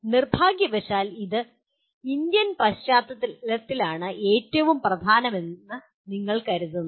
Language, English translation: Malayalam, Unfortunately this is in Indian context most what do you call considered least important